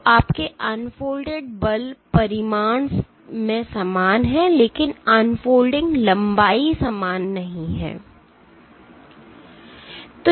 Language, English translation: Hindi, So, your unfolding forces are similar in magnitude, but the unfolding lengths are not